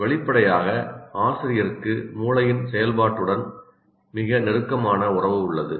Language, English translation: Tamil, So obviously, teacher has very, very close relationship with the functioning of the brain